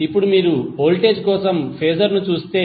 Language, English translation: Telugu, Now if you see Phasor for voltage